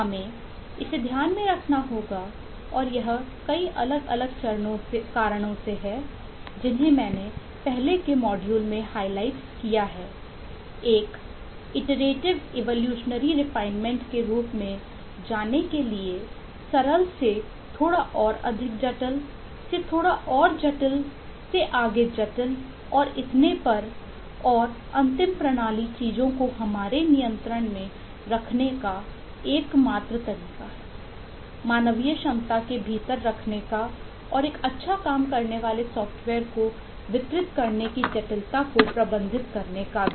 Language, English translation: Hindi, we have to keep that in mind and that is for the several different reasons that I have eh highlighted in the earlier modules: going in an iterative, evolutionary refinement form to go from simple to little bit more complex, to little more complex, to further complex and so on, and the final system is the only way to keep things under our control, to keep it within the human capacity of handling and manage the complexity, to deliver a good working software